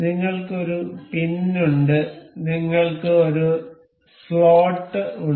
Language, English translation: Malayalam, We have a pin and we have a slot